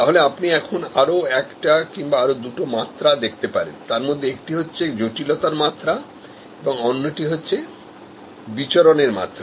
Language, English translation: Bengali, Then you can look at another dimension or rather two dimensions, one is degree of complexity and another is degree of divergence